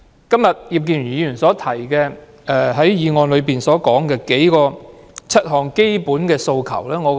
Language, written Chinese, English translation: Cantonese, 今天，葉建源議員在議案中提出7項基本訴求。, Today Mr IP Kin - yuen has put forward seven basic demands in his motion